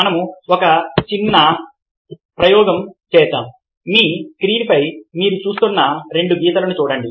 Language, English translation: Telugu, lets do a small experiment: look at both the lines that ou are seeing over on your screen